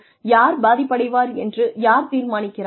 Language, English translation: Tamil, Who decides who is going to be affected